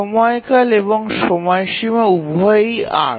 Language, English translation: Bengali, The period and deadline are both eight